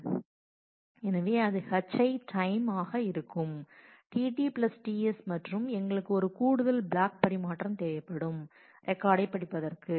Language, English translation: Tamil, So, that will be h i times t T + t S and we will need one additional block transfer to actually get the data get the record read it